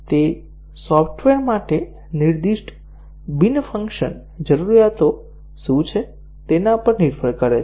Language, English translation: Gujarati, It depends on what are the non functional requirements specified for the software